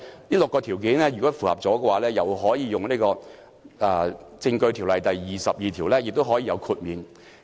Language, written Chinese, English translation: Cantonese, 如果符合以上6項條件，便可根據《證據條例》第22條獲得豁免。, If the documents meet any of the six conditions mentioned above they are exempted under section 22 of the Evidence Ordinance